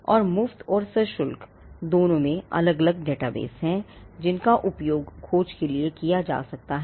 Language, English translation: Hindi, And there are different databases both free and paid, which could be used for a searching